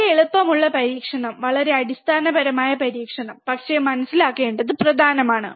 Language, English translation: Malayalam, Very easy experiment, extremely basic experiment, but important to understand